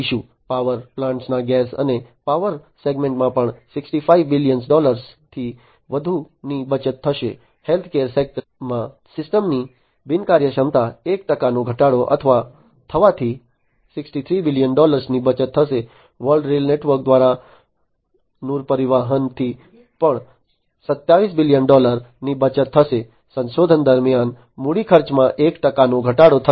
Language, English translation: Gujarati, Gas and power segment of power plants will also save over 65 billion dollars 1 percent reduction in system inefficiency in healthcare center will save 63 billion dollar, freight transportation through world rail network will also save 27 billion dollar, one percent reduction in capital expenditure during exploration and development in oil and gas industries will save 90 billion dollar